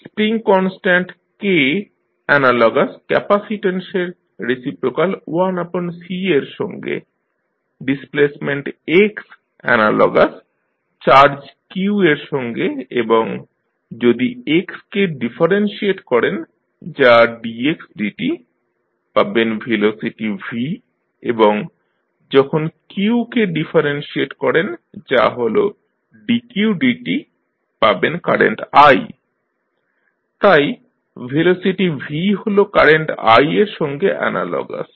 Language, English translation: Bengali, Spring constant K is analogous to reciprocal of capacitance that is 1 by C, displacement that is X, you see will be analogous to charge q and then if you differentiate X that is dx by dt, you will get velocity V and when you differentiate q that is dq by dt you will get current i, so velocity V is analogous to current i